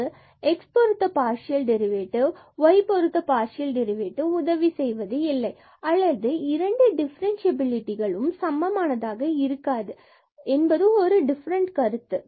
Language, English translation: Tamil, So, there in case of the two variables what we will see that just having the derivatives, where the partial derivative with respect to x and partial derivatives derivative with respect to y will not help or will not be equivalent to two differentiability